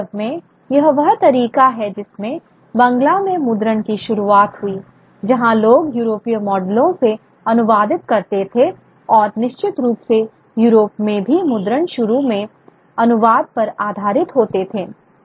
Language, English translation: Hindi, In fact, that is the way in which even being a Bangla printing took up where people translated from European models and certainly printing in Europe also initially thrived on translations